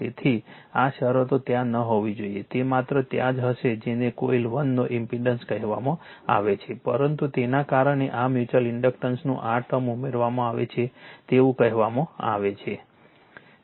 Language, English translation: Gujarati, So, these terms should not be there, it will be the only there you are what you call the impedance of the coil 1, but due to that you are what you call mutual inductance this term is added